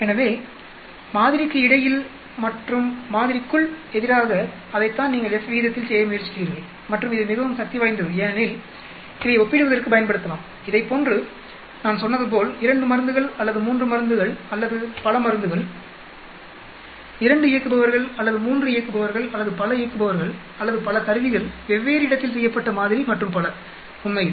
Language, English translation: Tamil, So, between sample verses within sample that is what you are trying to do in F ratio and it is very powerful because we can use this for comparing like I said 2 drugs or 3 drugs or many drugs, 2 operators or 3 operators or many operators or many instruments, sample done in different location and so on actually